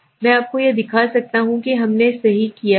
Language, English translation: Hindi, I can show you this is what we have done right